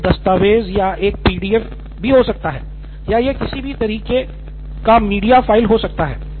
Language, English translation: Hindi, So it can be a word document or a PDF or, so it could be any kind of a media file